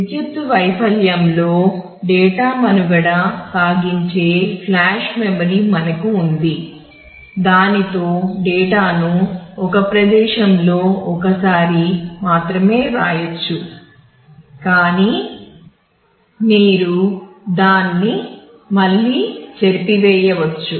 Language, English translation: Telugu, We have flash memory where the data can survive across power failure; it can be they had data can be written at a location only once, but you can erase and write it again